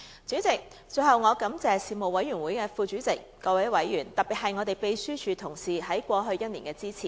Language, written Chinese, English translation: Cantonese, 主席，最後我感謝事務委員會副主席、各委員，特別是秘書處同事在過去1年的支持。, Lastly President I would like to express my gratitude to Deputy Chairman and members of the Panel and particularly to colleagues of the Secretariat for their support during the past year